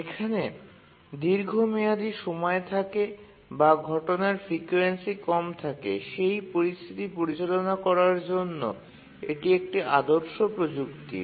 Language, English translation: Bengali, So this is a standard technique to handle situations where a critical task has a long period or its frequency of occurrences lower